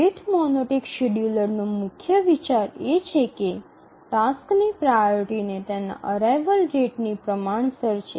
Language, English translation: Gujarati, The main idea in the rate monotonic scheduler is that the priority of a task is proportional to its rate of arrival